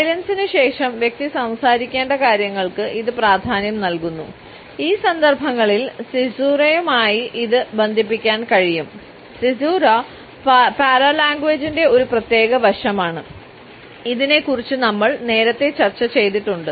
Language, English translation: Malayalam, It signals emphasis on the points which the person has to speak after his silence and in these contexts it can be linked with caesura a particular aspect of paralanguage which we have discussed earlier